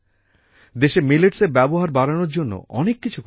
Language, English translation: Bengali, Today a lot is being done to promote Millets in the country